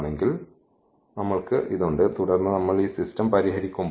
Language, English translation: Malayalam, So, we have this and then when we solve this system